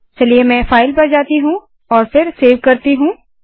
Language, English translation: Hindi, So let me go to File and then save